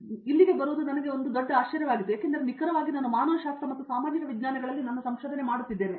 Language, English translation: Kannada, So, coming here was a was a big surprise for me, because precisely because I do my research in humanities and social sciences